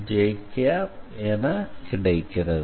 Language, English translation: Tamil, So, you take n dot j